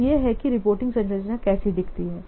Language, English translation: Hindi, This is the reporting structure